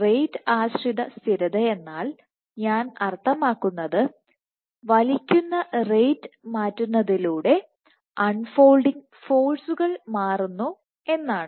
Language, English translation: Malayalam, By rate dependent stability I mean that by changing the pulling rate the unfolding force changes